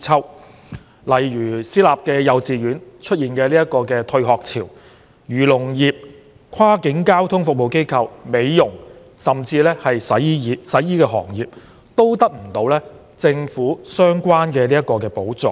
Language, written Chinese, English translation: Cantonese, 舉例說，私立幼稚園出現"退學潮"，而漁農業、跨境交通服務機構、美容業甚至洗衣業均得不到政府相關的補助。, For example private kindergartens are facing a wave of dropouts whereas the agriculture and fisheries industry cross - boundary transport operators beauty shops and laundry services have not received any relevant subsidies from the Government